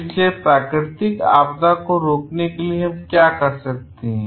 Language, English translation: Hindi, So, what we can do for preventing of natural disaster